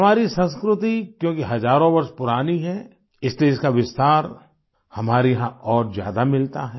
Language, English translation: Hindi, Since our culture is thousands of years old, the spread of this phenomenon is more evident here